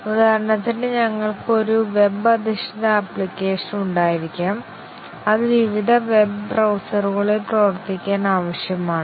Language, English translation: Malayalam, For example, we might have a web based application, and that is required to work with various web browsers